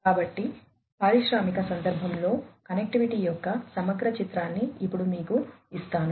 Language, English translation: Telugu, So, let me now give you a holistic picture of connectivity in the industrial context